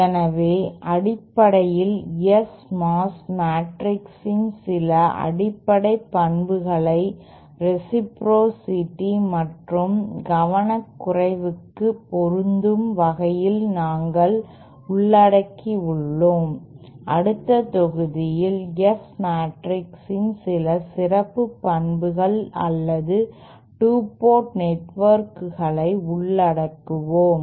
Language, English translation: Tamil, So basically we have covered some of the basic properties of S mass matrix as applicable for reciprocity and listlessness in the next module we will be covering some property some special properties of the S matrices or for 2 port networks so